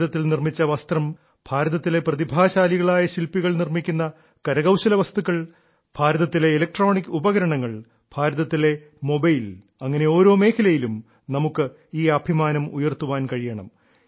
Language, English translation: Malayalam, Textiles made in India, handicraft goods made by talented artisans of India, electronic appliances of India, mobiles of India, in every field we have to raise this pride